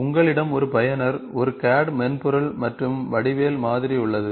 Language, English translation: Tamil, So, you can see here, a user, a CAD software, you have a geometric model